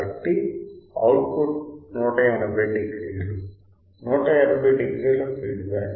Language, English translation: Telugu, So, output of 180 degree feedback is 180 degree